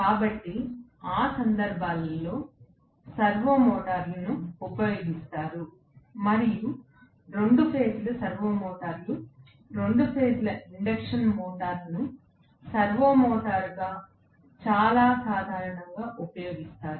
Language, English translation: Telugu, So, in those cases servo servo motors are used and 2 phase servo motors, 2 phase induction motor is very commonly used as a servo motor